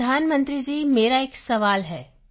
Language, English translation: Punjabi, Prime Minister I too have a question